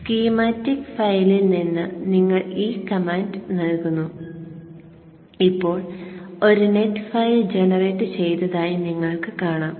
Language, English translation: Malayalam, So from the schematic file you give this command and now you would see that there is a net file generated